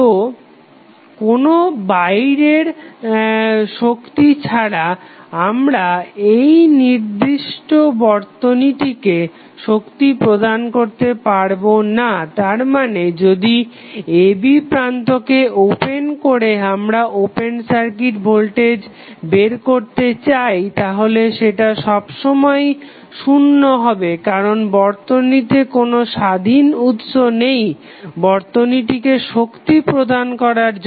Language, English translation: Bengali, So, until unless we have any external source you cannot energies this particular circuit that means that if you are having the a and b terminal as open circuited and you want to find out the open circuit voltage across terminal a and b this will always be zero because there is no independent source to supply power to the circuit